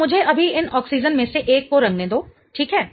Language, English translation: Hindi, So, let me now just color one of these oxygens